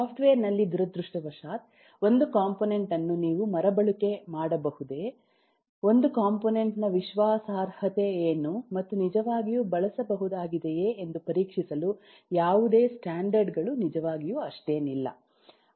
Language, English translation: Kannada, in software, unfortunately, there are very few standards, really really hardly any standard, to check if a component is really usable, what is the reliability of a component that you are using, and so on